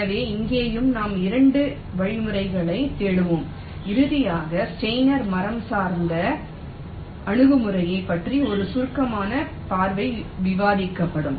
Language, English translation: Tamil, so here also we shall be looking up a couple of algorithms and finally, a brief look at steiner tree based approaches shall be ah discussed now